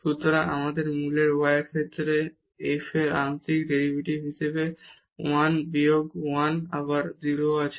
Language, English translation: Bengali, So, we have 1 minus 1 again 0 as the partial derivative of f with respect to y at a origin